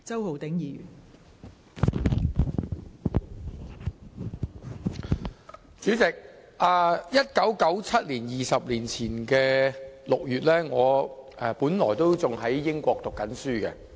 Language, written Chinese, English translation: Cantonese, 代理主席 ，20 年前 ，1997 年6月，我仍在英國讀書。, Deputy President 20 years ago in June 1997 I was still studying in the United Kingdom